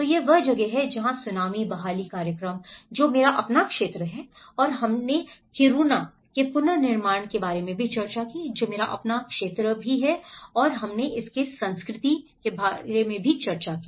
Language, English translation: Hindi, So that is where the tsunami recovery programs, which is my own areas and also we did discussed about the rebuilding of Kiruna which is also my own area and that we discussed in the culture part of it